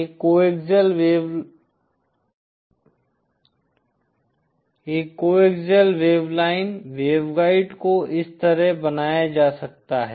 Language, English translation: Hindi, A coaxial wave line, waveguide can be drawn like this